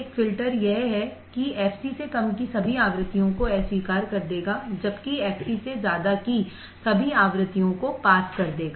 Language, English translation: Hindi, a filter is that all the frequencies below f c it will reject while above f c it will pass